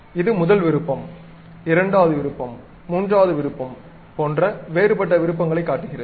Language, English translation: Tamil, It shows different kind of options like first option, second option, third option